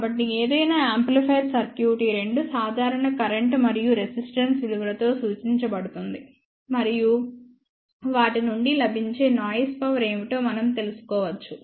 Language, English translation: Telugu, So, any amplifier circuit can be represented in these two simple current and resistance values; and from that we can find out what are the noise power available from them